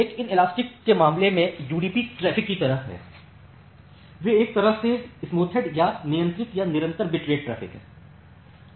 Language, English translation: Hindi, In case of in a inelastic traffic, they are the kind of UDP traffics they are kind of smoothed or the controlled or constant bit rate traffic